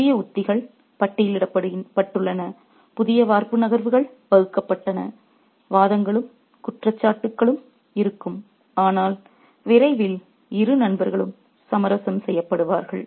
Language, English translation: Tamil, Newest strategies were being charted, newest castling moves devised, there would be arguments and accusations, but soon the two friends would be reconciled